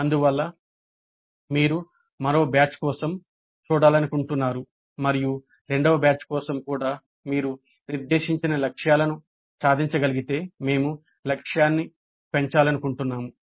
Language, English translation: Telugu, So we would like to see for one more batch and if you are able to attain the set targets even for the second batch then we would like to enhance the target